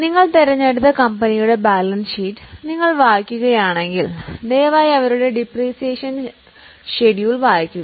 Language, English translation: Malayalam, If you are reading the balance sheet of your company which you have chosen, please read their depreciation schedule